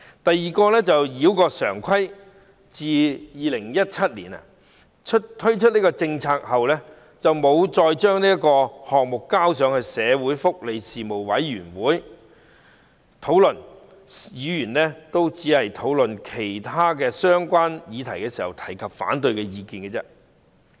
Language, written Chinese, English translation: Cantonese, 第二，繞過常規：政府在2017年提出該項政策，卻一直沒有將之提交福利事務委員會加以討論，議員只能在討論其他相關議題時表達反對意見。, The second one is bypassing the normal procedure . The Government proposed the policy in 2017 but never referred it to the Panel on Welfare Services for discussion . Members could express their opposition views only during discussions on other relevant issues